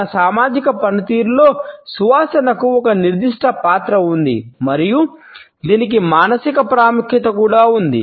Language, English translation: Telugu, In our social functioning, scent has a certain role and it also has a psychological significance